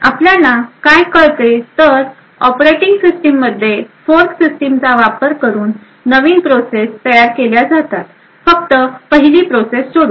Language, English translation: Marathi, What we do know is that all processes in an operating system are created using the fork system, except for the 1st process